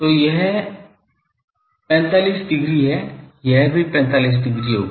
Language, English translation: Hindi, So, this is 45 degree , this will be also 45 degree